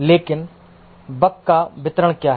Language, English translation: Hindi, But what is the distribution of the bug